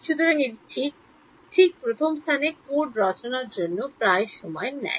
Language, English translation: Bengali, So, this actually takes almost as much time as code writing in the first place ok